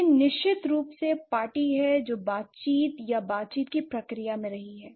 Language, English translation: Hindi, It's definitely the party who has been in the interaction or the negotiation process